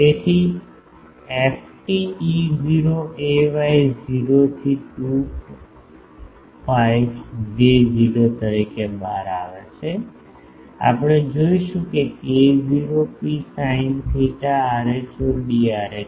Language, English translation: Gujarati, So, f t comes out as E not a y 0 to a 2 pi J not, we will see that k not rho sin theta rho d rho